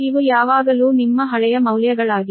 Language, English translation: Kannada, these are always your old values, right